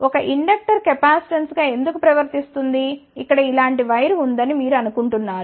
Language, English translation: Telugu, Why a inductor behaves as a capacitance you think about that there is a wire like this here